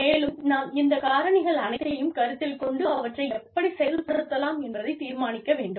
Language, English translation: Tamil, And, we need to take, all of these things into account, and then decide, how they want to work